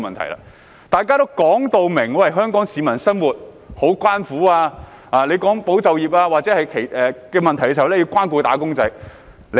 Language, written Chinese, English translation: Cantonese, 當時，大家也說香港市民的生活真的相當艱苦，討論到保就業問題時，我們也說要關顧"打工仔"。, Back then all of us said that the people of Hong Kong were indeed leading a very difficult life . We also said that we should take care of wage earners when discussing the issue of supporting employment